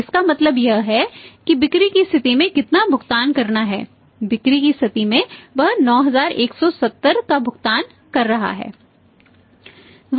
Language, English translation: Hindi, So, it means here at the point of sale we are saying how much is paying he is paying at the point of sale is 9170